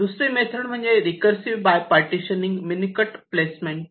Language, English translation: Marathi, now the second method is called recursive bipartitioning mincut placement